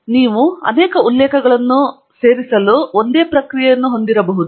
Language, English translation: Kannada, And you could have the same process to add multiple references